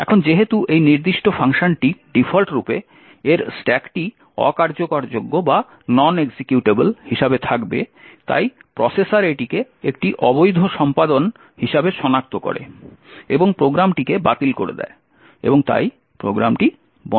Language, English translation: Bengali, Now since this particular function by default would have its stack as non executable therefore the processor detects this as an illegal execution being made and falls the program and therefore the program terminates